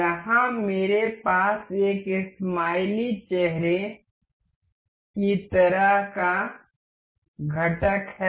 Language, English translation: Hindi, Here, I have this component with a smiley face kind of thing